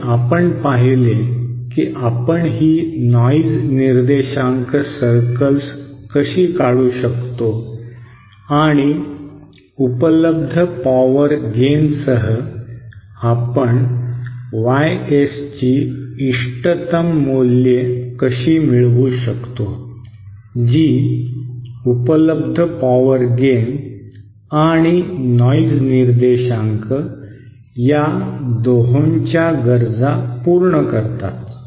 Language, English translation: Marathi, And we saw how we can draw this noise figure circles and how we along with the available power gain circles we can obtain optimum values of YS to satisfy both the available power of gain requirement and the noise figure requirement